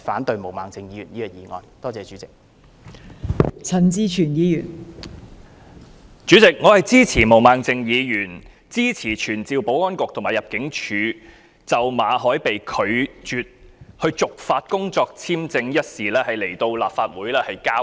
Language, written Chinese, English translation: Cantonese, 代理主席，我支持毛孟靜議員的議案，支持傳召保安局局長及入境事務處處長就馬凱被拒絕續發工作簽證一事來立法會交代。, Deputy President I support Ms Claudia MOs motion to summon the Secretary for Security and the Director of Immigration to attend before the Council to give an account of the Governments refusal to renew the work visa of Victor MALLET